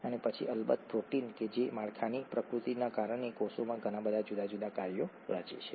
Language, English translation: Gujarati, And then of course proteins which which form very many different functions in the cell because of the nature of the structure